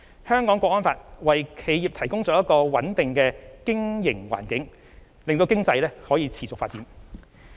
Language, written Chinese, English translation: Cantonese, 《香港國安法》為企業提供了一個穩定的經營環境，讓經濟可持續發展。, The National Security Law provides a stable business environment for enterprises ensuring the sustainable development of our economy